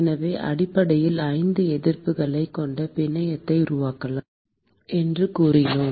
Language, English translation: Tamil, So, we said that we could construct the network which has essentially 5 resistances